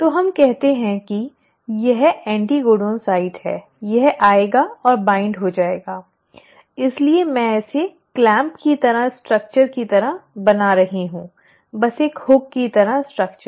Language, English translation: Hindi, So let us say this is the anticodon site, will come and bind, so I am just drawing this like a clamp like structure, just a hook like structure